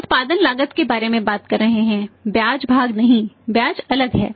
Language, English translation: Hindi, Cost of production we are talking about not the interest part and trust is different